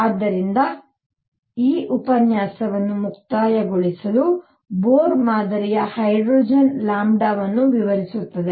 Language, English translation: Kannada, So, to conclude this lecture, Bohr model explains lambda for hydrogen